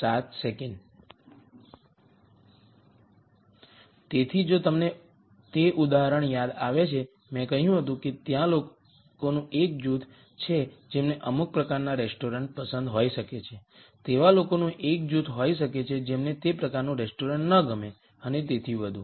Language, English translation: Gujarati, So, if you remember that example I said there are a group of people who might like certain type of restaurant there might be a group of people who do not like that kind of restaurant and so on